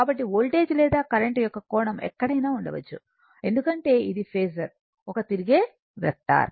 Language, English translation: Telugu, So, voltage or current right, the angle of the voltage and current it can be in anywhere, because phasor is rotating vector